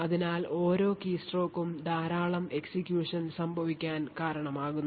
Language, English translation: Malayalam, So, each keystroke results in a lot of execution that takes place